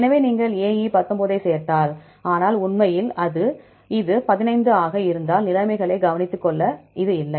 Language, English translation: Tamil, So, if you add up AE the 19, but actually case it is 15 because this is, this missing